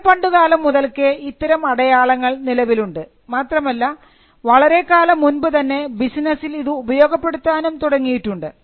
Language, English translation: Malayalam, Marks have existed since time immemorial and the usage in business has also been there for a long time